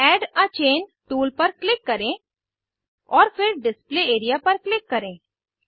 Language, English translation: Hindi, Click on Add a Chain tool, and then click on Display area